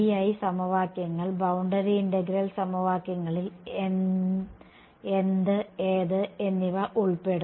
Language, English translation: Malayalam, The BI equations the boundary integral equations involves what and what